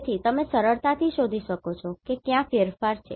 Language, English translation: Gujarati, So, you can easily find out what are the changes